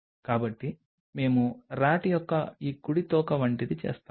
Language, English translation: Telugu, So, we do something like this right tail of the RAT